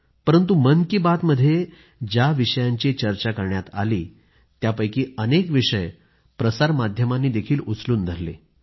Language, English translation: Marathi, But many issues raised in Mann Ki Baat have been adopted by the media